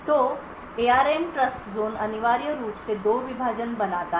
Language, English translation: Hindi, So, the ARM Trustzone essentially creates two partitions